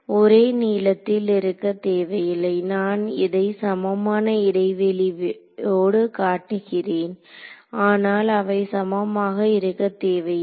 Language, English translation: Tamil, It need not be the same lengths that I have shown are equispaced over here, but they need not be the same